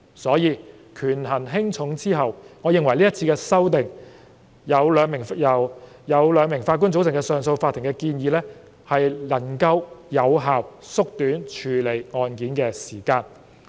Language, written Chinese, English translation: Cantonese, 所以，在權衡輕重後，我認為這次有關由兩名法官組成的上訴法庭的修訂建議能夠有效縮短處理案件的時間。, Therefore on balance I consider that the proposed amendments on a 2 - Judge CA can effectively shorten the time for case handling